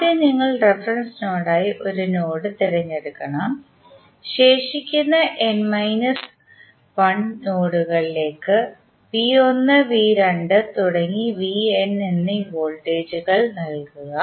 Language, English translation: Malayalam, First you have to select a node as the reference node then assign voltages say V 1, V 2, V n to the remaining n minus 1 nodes